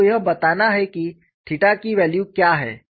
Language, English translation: Hindi, So, what would be the value of theta that you have to use